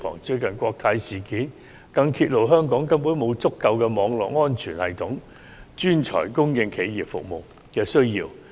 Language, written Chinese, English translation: Cantonese, 最近的國泰事件更揭露香港根本沒有足夠的網絡安全系統專才，以應付企業服務的需要。, The recent incident involving Cathay Pacific has uncovered the shortage of network security talents in Hong Kong to cope with the demand for corporate services